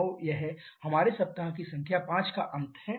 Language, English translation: Hindi, So, this is the end of our week number 5